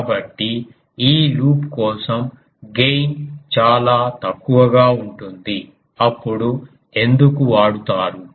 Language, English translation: Telugu, So, gain is very poor for this loop then why it is used